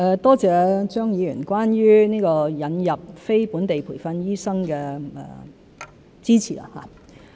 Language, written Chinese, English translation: Cantonese, 多謝張議員對於引入非本地培訓醫生的支持。, I thank Mr CHEUNG for his support for the admission of non - locally trained doctors